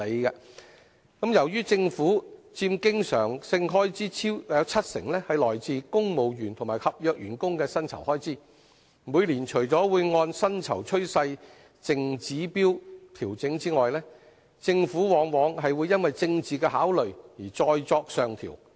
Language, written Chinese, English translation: Cantonese, 由於佔政府經常性開支超過七成都是公務員和合約員工的薪酬開支，每年除了會按薪酬趨勢淨指標調整外，政府往往會因政治考慮而再作上調。, As we all know the payroll costs of civil servants and contract staff have taken up over 70 % of the government recurrent expenditure and apart from the pay adjustments made every year with reference to the net pay trend indicators further upward adjustments are often made by the Government due to political considerations